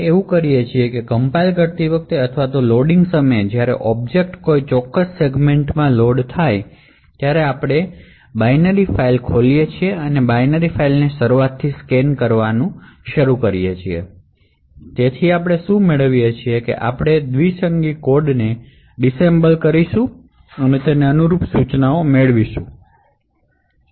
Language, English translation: Gujarati, compiling or during the time of loading when the object is loaded into a particular segment so what we do is that we open the binary file and start to scan that binary file from the beginning to the end, so what we do is we take the binary code disassemble it and get the corresponding instructions